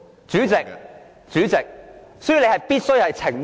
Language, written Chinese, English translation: Cantonese, 主席，你必須澄清。, Chairman you must clarify